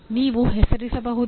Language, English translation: Kannada, Can you name the …